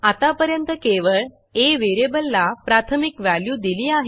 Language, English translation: Marathi, So far, only the variable a has been initialized